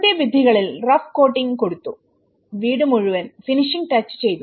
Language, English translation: Malayalam, By rough coating on outside walls and finishing touches applied to the whole house